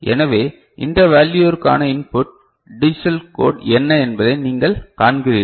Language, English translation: Tamil, So, you see for what value of this input digital code, this value is there